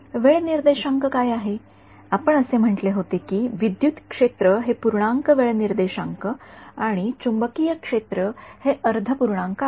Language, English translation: Marathi, What are the time indices we had said that electric field is every integer time index and magnetic field every half integer right